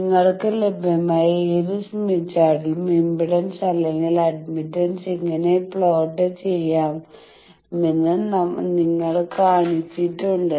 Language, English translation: Malayalam, I have Shown you that how to plot any impedance or admittance on whatever smith chart available to you